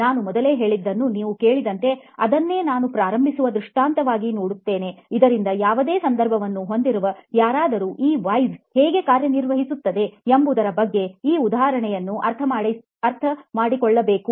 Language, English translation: Kannada, As you heard me say earlier, so that is what we will look at as an illustration just to begin with so that anybody with any context can understand this example as to how these 5 Whys work